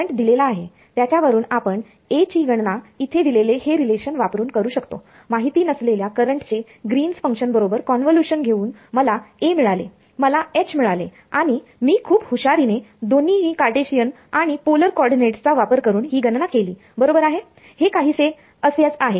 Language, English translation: Marathi, Given the given the current we could calculate the A vector using this relation over here, convolution of unknown current with Green’s function I got A from A I got H and H I calculated little bit cleverly making use of both Cartesian and polar coordinates right you are something like r cross z